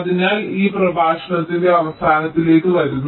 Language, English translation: Malayalam, ok, so with this we come to the end of this lecture, thank you